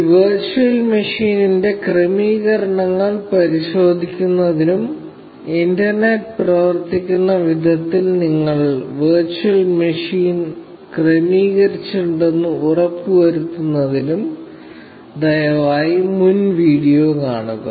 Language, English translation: Malayalam, Please refer to the previous video, to check the settings of this virtual machine, and make sure that, you have configured the virtual machine in a way that the internet works